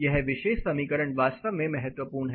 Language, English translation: Hindi, This particular equation is really important